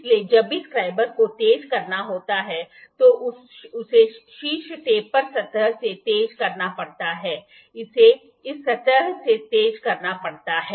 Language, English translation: Hindi, So, whenever the scriber has to be sharpened it has to be sharpened from the top taper surface, it has to sharpen from this surface